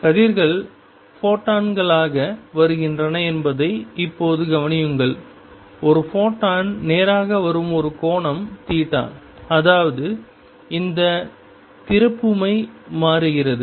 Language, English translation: Tamil, Now consider that rays are coming as photons, a photon coming straight go that an angle theta; that means, this moment changes